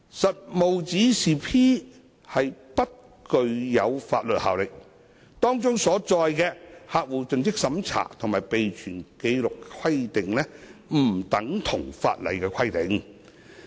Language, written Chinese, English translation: Cantonese, 《實務指示 P》不具法律效力，當中所載的客戶盡職審查及備存紀錄規定不等同法例規定。, PDP does not have the force of law and CDD and record - keeping requirements under PDP do not amount to statutory requirements